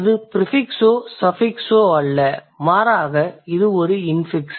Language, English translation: Tamil, So, in here is neither a prefix nor a suffix, rather this is an infix